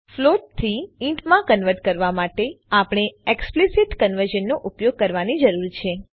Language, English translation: Gujarati, To convert a float to an int we have to use explicit conversion